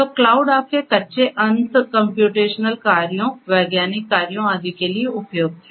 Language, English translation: Hindi, So, cloud is suitable for number of things, for running your high end computational jobs, scientific jobs and so on